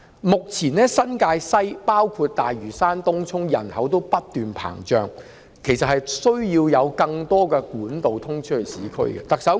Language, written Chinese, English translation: Cantonese, 目前新界西，包括大嶼山和東涌的人口均不斷膨脹，其實需要更多通往市區的幹道。, Now the population in New Territories West including Lantau and Tung Chung is growing continuously so actually more trunk roads linking the urban areas are needed